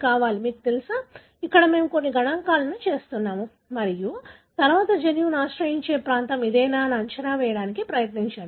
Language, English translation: Telugu, So, you need, you know, here we are doing it with a some statistics and then try to sort of guess whether this is the region that could possibly harbour the gene